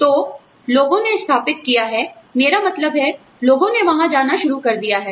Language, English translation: Hindi, So, people have set up, you know, I mean, people have started going there